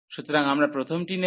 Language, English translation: Bengali, So, we will take the first one